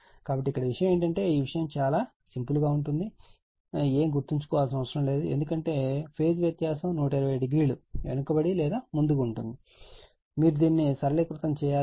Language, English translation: Telugu, So, this all the thing is that you have to remember nothing to be this thing very simple it is right because, if phase difference is that 120 degree lagging or leading right and just you have to simplify